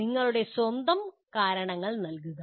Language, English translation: Malayalam, Give your own reasons